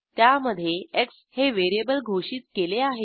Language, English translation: Marathi, In this we have defined a variable x